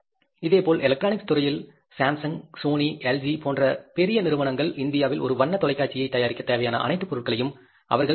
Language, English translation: Tamil, Similarly in the electronics industry, in the electronics industry these bigger companies like Samsung, Sony, LG, they don't produce all the products required for manufacturing a color TV in India